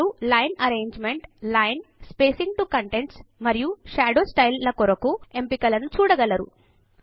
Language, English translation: Telugu, You will see the options for Line arrangement, Line, Spacing to contents and Shadow style